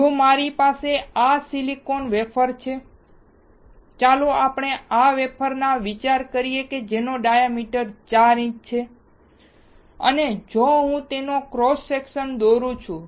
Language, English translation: Gujarati, If I have this silicon wafer, let us consider this wafer which is 4 inch in diameter, and I draw it’s cross section